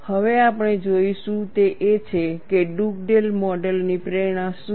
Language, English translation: Gujarati, Now, what we will look at is, what is the motivation of Dugdale model